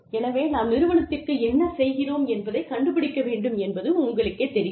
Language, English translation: Tamil, So, you know, we need to find out, what it is doing for the organization